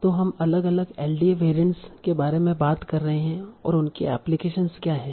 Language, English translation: Hindi, So we are talking about different LDA variants and what are their applications